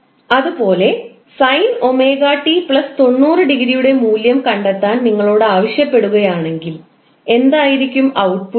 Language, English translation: Malayalam, Similarly, if you are asked to find out the value of sine omega T plus 90 degree, what would be the output